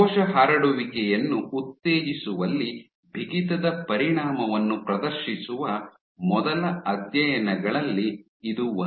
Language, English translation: Kannada, So, this was one of the first studies to demonstrate the effect of stiffness in driving cell spreading